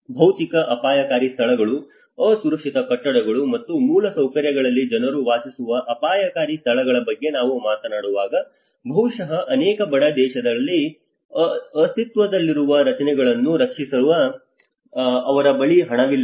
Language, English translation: Kannada, Where we talk about the dangerous locations people live in the physical dangerous locations, unprotected buildings and infrastructure, maybe many of in poorer countries, they do not have even money to safeguard those existing structures